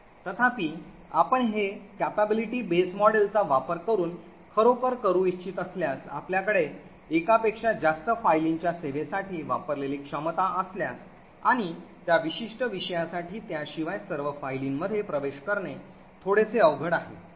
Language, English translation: Marathi, However if you want to actually do this using the capability base model, this could get a little bit tricky specially if you have one capability that is use to service multiple files and what we want is for that particular subject to access all the files except one, so this is very difficult to do with the capability base model